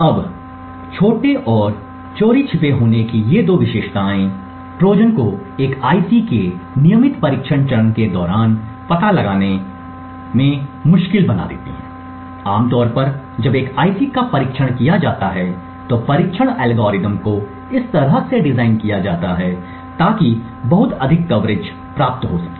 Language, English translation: Hindi, and stealthy make Trojans very difficult to detect during the regular testing phase of an IC, typically when an IC is tested the testing algorithms are designed in such a way so as to obtain a very high coverage